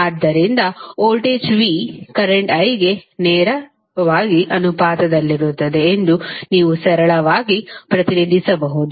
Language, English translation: Kannada, So, you can simply represent that V is directly proportional to current I